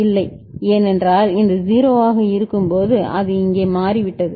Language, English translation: Tamil, No, because when this 0 is it has become here